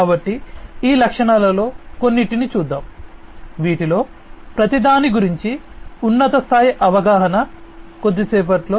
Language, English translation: Telugu, So, let us look at some of these features, the high level understanding about each of these, in the next little while